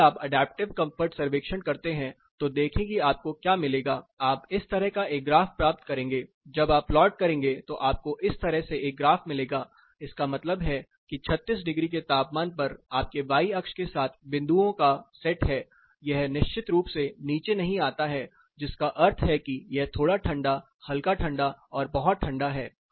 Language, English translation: Hindi, See whenever you do adaptive comfort survey that is what you will get you will get a graph like this, when you plot you will get a graph like this, what it means say take a temperature of say 36 degree, you have set of points dots across the y axis it does not, of course, come down which means this is cold this is cold, this is cold, cold and very cold